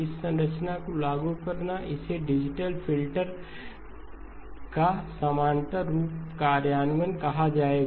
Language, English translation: Hindi, Implementing this structure, this would be called a parallel form implementation of a digital filter